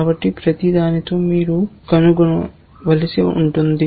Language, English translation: Telugu, So, with each you have to find